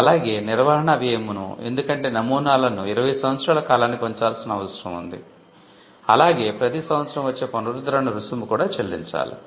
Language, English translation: Telugu, And also, the cost of maintenance, because patterns need to be kept for a 20 year period, renewal fee which falls every year needs to be paid too